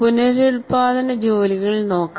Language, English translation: Malayalam, So let us look at reproduction tasks